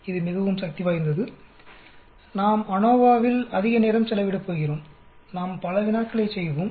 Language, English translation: Tamil, It is extremely powerful, we are going to spend lot of time on this ANOVA and we will do many problems